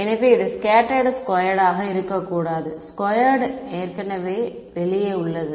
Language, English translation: Tamil, So, this should be scattered not squared the squared is already outside